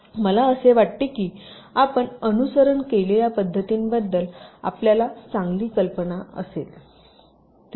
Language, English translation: Marathi, so i think, ah, you will have a fair idea regarding the approaches that are followed